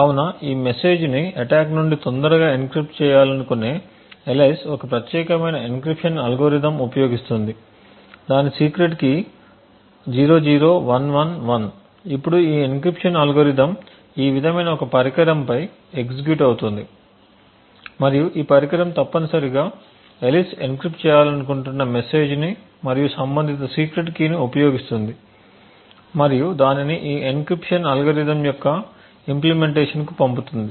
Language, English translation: Telugu, So here is a very simple example of how a fault attack would look like so we have Alice who wants to encrypt this message attack at dawn so she is using a particular encryption algorithm who’s secret key is 00111, now this encryption algorithm is executing on a device like this and this device would essentially use the message which Alice wants to encrypt and the corresponding secret key and pass it to an implementation of this encryption algorithm